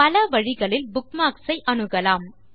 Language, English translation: Tamil, You can access bookmarks in many ways